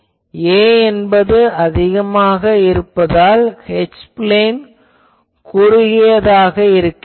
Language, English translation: Tamil, Now, since a is larger that is why you see H plane is narrower